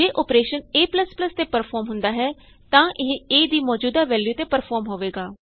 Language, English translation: Punjabi, If an operation is performed on a++, it is performed on the current value of a